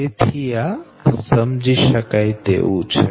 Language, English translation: Gujarati, so it is understandable, right